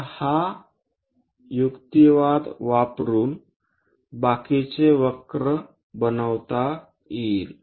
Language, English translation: Marathi, So, using that argument, the rest of the curve can be constructed